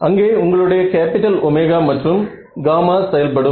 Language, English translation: Tamil, So, that is where your capital omega and gamma come into play ok